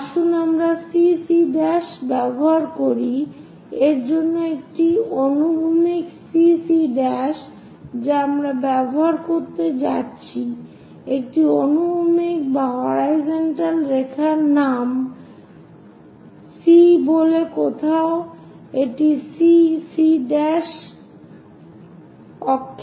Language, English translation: Bengali, Let us use CC prime for this a horizontal CC prime we are going to use, a horizontal line name it as C somewhere it goes C prime axis